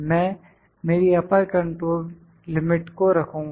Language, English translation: Hindi, So, this is my upper control limit